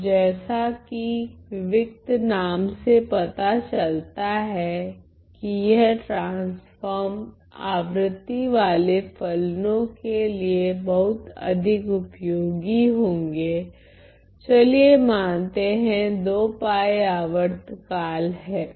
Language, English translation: Hindi, Now as the name discrete suggests these transforms will be quite useful for functions which are periodic let us say 2 pi periodic